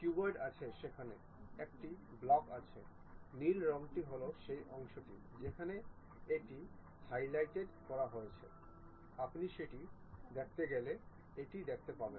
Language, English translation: Bengali, There there is a block the cuboid is there, the blue color is the portion where it is highlighted you are going to see that if you click it